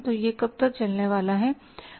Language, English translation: Hindi, So, how long this is going to prevail